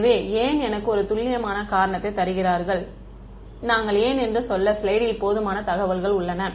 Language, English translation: Tamil, So, why give me a precise reason why, we have enough information on the slide to tell me why